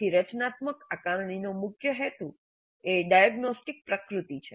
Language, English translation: Gujarati, So the primary purpose of format assessment is diagnostic in nature